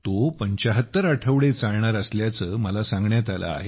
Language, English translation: Marathi, And I was told that is going to continue for 75 weeks